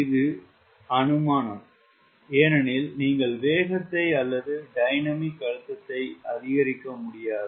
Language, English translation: Tamil, that is the assumption, because you cannot go on increasing the speed or the dynamic pressure